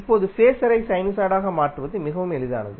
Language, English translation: Tamil, Now it is very easier to transfer the phaser into a sinusoid